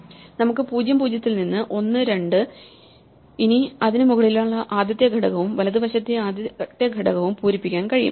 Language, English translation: Malayalam, So, once we have one at (0, 0) then we can fill both the first element above it and the first element to its right